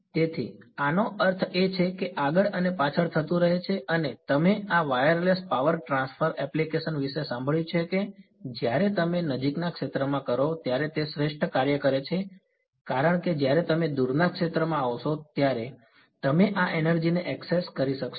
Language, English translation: Gujarati, So, this I mean back and forth keeps happening and there are you heard of these wireless power transfer applications right those work best when you do it in the near field because you are able to access this energy by the time you come to the far field its becomes purely real